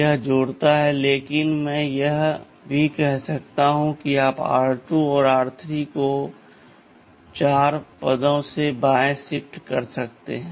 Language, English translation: Hindi, Iit adds, but I can also say you add r 2 and r 3 shifted left by 4 positions